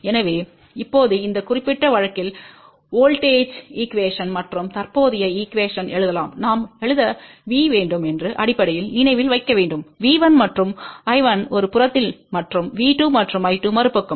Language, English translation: Tamil, So, now for this particular case we can write the voltage equation and current equation and you have to remember basically that we have to write V 1 and I 1 on one side and V 2 and I 2 on the other side